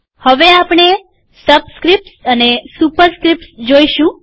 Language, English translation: Gujarati, Now we will look at subscripts and superscripts